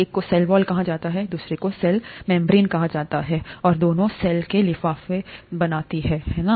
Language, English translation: Hindi, One is called a cell wall, the other one is called a cell membrane, and both of them envelope the cell, right